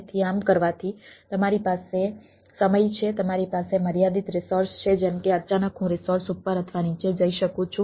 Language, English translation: Gujarati, a times you have a limited resources, like ah, suddenly i can go up or down on the resources